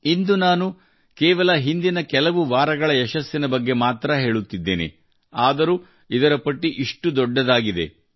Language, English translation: Kannada, But, today, I am just mentioning the successes of the past few weeks, even then the list becomes so long